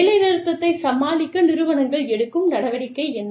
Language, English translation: Tamil, What is the action, that organizations take, in order to deal with the strike